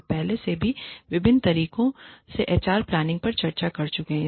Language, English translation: Hindi, We have already discussed, HR planning, in a variety of ways